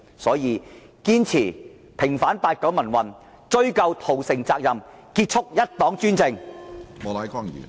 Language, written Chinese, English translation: Cantonese, 因此，堅持平反八九民運，追究屠城責任，結束一黨專政。, Hence we must persist in vindicating the pro - democracy movement in 1989 ascertaining responsibility for the massacre and ending one party dictatorship